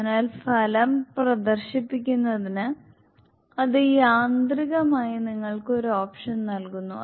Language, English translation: Malayalam, So, automatically gives you an option to display the result